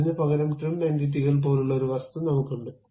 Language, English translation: Malayalam, Instead of that, we have an object like trim entities